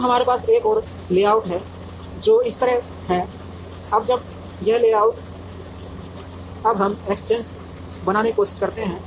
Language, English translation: Hindi, Now, we have another layout which is like this, now when this layout we now try to make exchanges